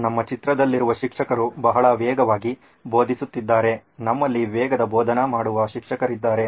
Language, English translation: Kannada, The teacher in our picture is teaching very fast, we had a fast teacher fast teaching teacher